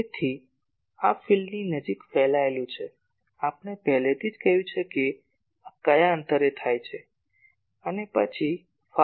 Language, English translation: Gujarati, So, this is the radiating near field, we have already said that at what distance this happens and then far field